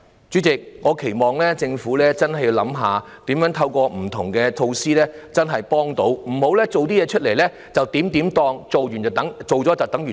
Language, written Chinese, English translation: Cantonese, 主席，我期望政府真的要思索一下，如何透過不同的措施提供有效的協助，不要只做了少許事便當作是做完了所有事。, President I expect the Government to really ponder how to provide effective assistance through different measures . It should not merely do a bit of work and then treat it as a task completed